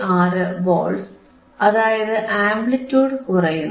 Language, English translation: Malayalam, 96 Volts, you see the amplitude is decreasing